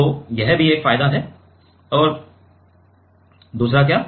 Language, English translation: Hindi, So, that is also one advantage and what another